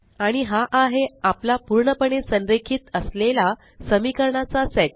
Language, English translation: Marathi, And there is our perfectly aligned set of equations